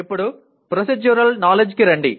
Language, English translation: Telugu, Now come to Procedural Knowledge